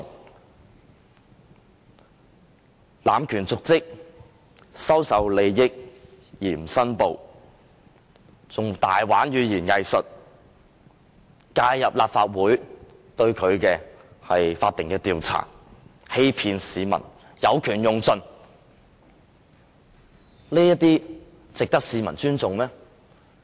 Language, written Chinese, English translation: Cantonese, 他濫權瀆職、收受利益而不申報、更玩弄語言"偽術"、介入立法會對他的法定調查、欺騙市民、有權用盡，這些值得市民尊重嗎？, He abused his power committed dereliction of duty received benefits without making declaration practised the art of doublespeak interfere with the Legislative Councils statutory inquiry on him deceived the public and exploited his power to the fullest . Are these qualities worthy of respect by the public?